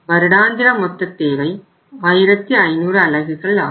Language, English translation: Tamil, Total annual requirement is how much 1500 units